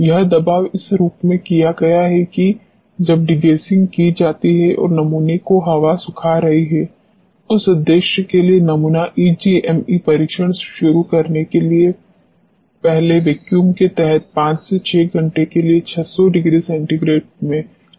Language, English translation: Hindi, This suppression has being done in this form when you have degassing being done and the air drying of the sample, for this purpose the sample is degassed at 600 degree centigrade for 5 to 6 hours under vacuum prior to commencing EGME test, alright